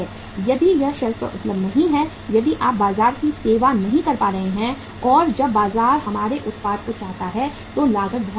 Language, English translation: Hindi, If it is not available on the shelf, if you are not able to serve the market as and when market wants our product then the cost is very very high